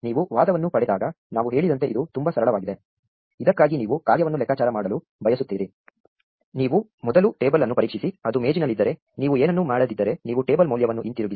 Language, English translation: Kannada, It is very simple as we said when you get an argument n for which you want to compute the function, you first check the table, if it is there in the table you do not do anything more you just return the table value